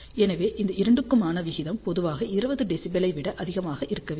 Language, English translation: Tamil, So, the ratio of the two should be generally greater than 20 dB